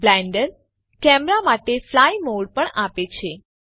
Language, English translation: Gujarati, Blender also provides a fly mode for the camera